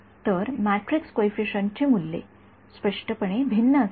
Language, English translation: Marathi, So, the values of the matrix coefficients will; obviously, be different